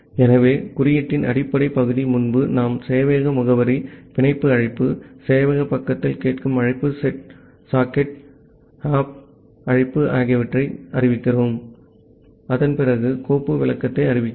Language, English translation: Tamil, So, the base part of the code is same as earlier we are declaring the server address, the bind call, the listen call at the server side the set sock opt call and after that we are declaring the file descriptor